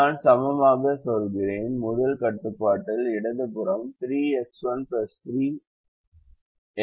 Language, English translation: Tamil, so i say equal to the left hand side of the first constraint is three x one plus three x two